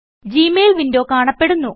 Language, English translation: Malayalam, The Gmail Mail window appears